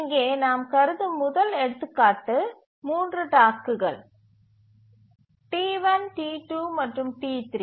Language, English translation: Tamil, The first example we consider here is three tasks, T1, T2 and T3